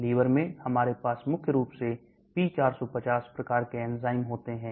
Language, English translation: Hindi, Liver we have predominantly P450 type of enzymes